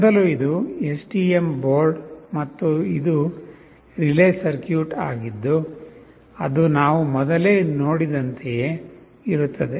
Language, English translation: Kannada, First this is the STM board, and this is relay circuit that is the same as we had seen earlier